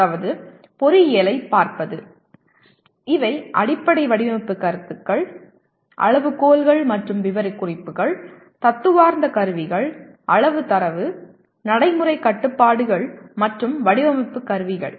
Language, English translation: Tamil, That means looking at engineering per se these are Fundamental Design Concepts; Criteria and Specifications; Theoretical Tools; Quantitative Data; Practical Constraints and Design Instrumentalities